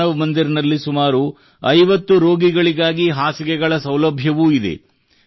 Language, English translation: Kannada, Manav Mandir also has the facility of beds for about 50 patients